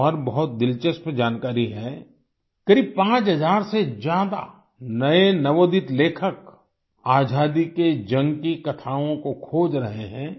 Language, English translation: Hindi, There is another interesting information more than nearly 5000 upcoming writers are searching out tales of struggle for freedom